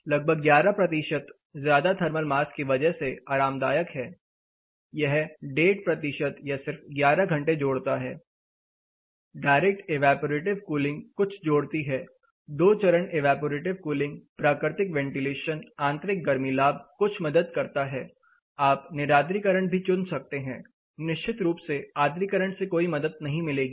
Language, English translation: Hindi, So, that has gone automatically, about 11 percentage is comfortable with high thermal mass it just adds another one and half percent or just 11 hours with simple thermal mass direct evaporative cooling does add a little bit two stage evaporative cooling naturally ventilation, internal heat gains there is a lot of help then you can opt for dehumidification, humidification of course does not help, cooling dehumidification for about 52 percent of the time